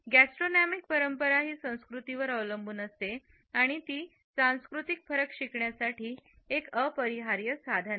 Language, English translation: Marathi, Gastronomic tradition is dependent on culture and it is an unavoidable tool for learning about cultural differences